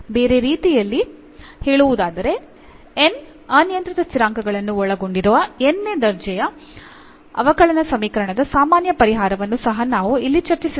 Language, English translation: Kannada, In other words what we have also discussed here the general solution of nth order differential equation which contains n arbitrary constants